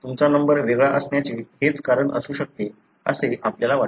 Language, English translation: Marathi, That is what we believe could be the reason why you have different number